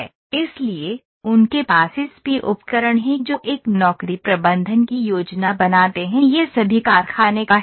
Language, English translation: Hindi, So, they have the ASP tools that process planning a job management this is all the factory part